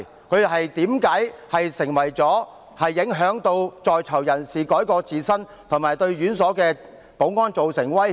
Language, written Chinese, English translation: Cantonese, 這些書刊如何影響在囚人士改過自新，又為何會對院所的保安造成威脅？, How will these books affect the rehabilitation of PICs or pose threats to the security of penal institutions?